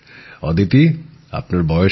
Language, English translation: Bengali, Aditi how old are you